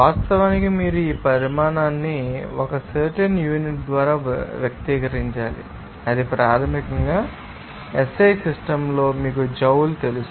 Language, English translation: Telugu, And of course, you have to express this quantity by a certain unit that is basically in SI system is you know Joule